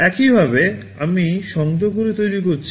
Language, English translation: Bengali, This is how I have made the connections